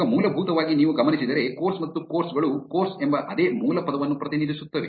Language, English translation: Kannada, Now, essentially if you notice, course and courses represent the same base word which is course